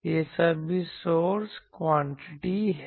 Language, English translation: Hindi, This is all source quantities